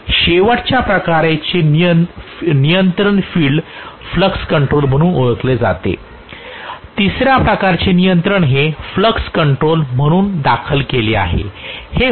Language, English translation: Marathi, Then last type of control is known as field flux control, the third type of control is filed flux control